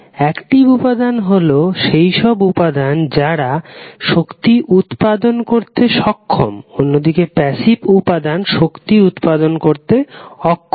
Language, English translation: Bengali, The element which is capable of generating energy while the passive element does not generate the energy